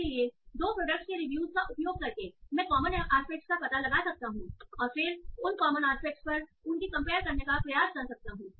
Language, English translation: Hindi, So by using the reviews of two products, I can find out the common aspects and then try to compare them on those common aspects